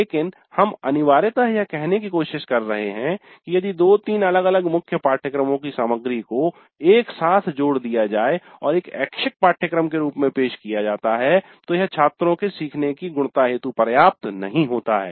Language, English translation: Hindi, But what essentially we are trying to say is that if the material from two three different core courses is simply clapped together and offered as an elective course, it does not add substantially to the learning of the students